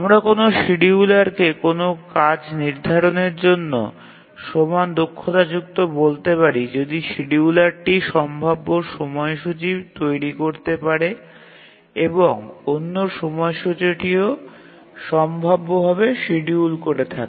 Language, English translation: Bengali, And two schedulers we say equally proficient if for any task set that one scheduler can feasibly schedule, the other scheduler can also feasibly schedule